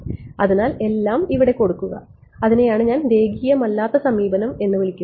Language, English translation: Malayalam, So, put it put the whole thing over here and that is what I am calling a non linear approach ok